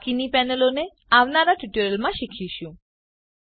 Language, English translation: Gujarati, The rest of the panels shall be covered in the next tutorial